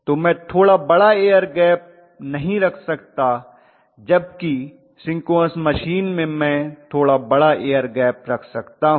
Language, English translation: Hindi, So I cannot afford to have a little larger air gap where as in synchronous machine I can afford to have a little larger air gap